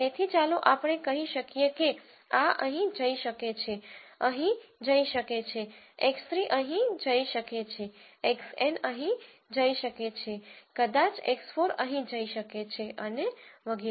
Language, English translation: Gujarati, So, let us say this could go here this could go here, x 3 could go here x N could go here maybe an x 4 could go here and so on